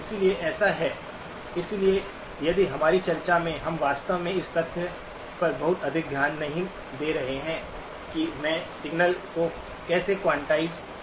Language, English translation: Hindi, So that is why, so if in most of our discussion, we really are not paying too much attention to the fact that how am I quantizing the signal